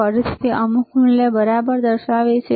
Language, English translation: Gujarati, Again, it is showing some value all right